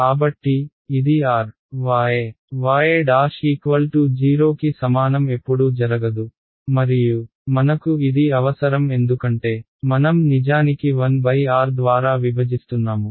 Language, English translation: Telugu, So, this r y y prime equal to 0 never happens and we need that because we are actually dividing by 1 by r right